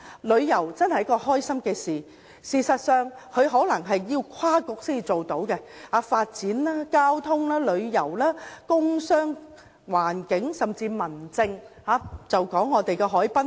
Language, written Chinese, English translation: Cantonese, 旅遊這開心的事情可能需要跨政策局合作，旅遊涉及發展、交通、工商、環境，甚至民政的範疇。, Tourism that brings people happiness requires cooperation among Policy Bureaux because areas such as development transport commerce and industry environment and home affairs are involved